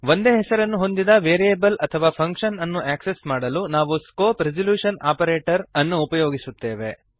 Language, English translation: Kannada, To access the variable or function with the same name we use the scope resolution operator ::